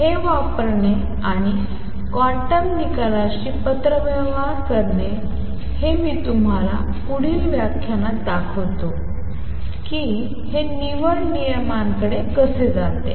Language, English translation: Marathi, Using these and making correspondence with the quantum results I will show you in next lecture how this leads to selection rules